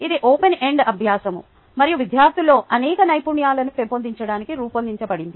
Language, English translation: Telugu, this is an open ended exercise and designed to develop many skills and students